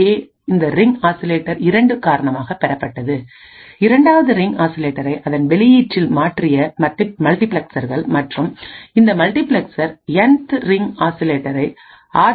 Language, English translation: Tamil, One is this RA is due to this ring oscillator 2, and the multiplexers which has switched 2nd ring oscillator into its output and this multiplexer has switched the Nth ring oscillator to RB